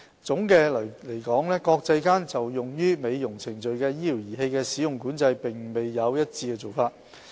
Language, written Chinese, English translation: Cantonese, 總的來說，國際間就用於美容程序的醫療儀器的使用管制並沒有一致做法。, In sum there is no standardized regulatory approach on the use of medical devices for cosmetic purposes in the international community